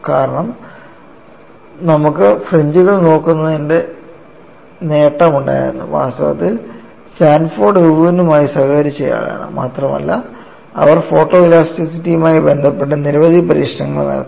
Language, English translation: Malayalam, You know it is a very, very subtle point, because you had the advantage of looking at the fringes in fact, Sanford was the collaborator with Irwin and they had done several experiments related to photo elasticity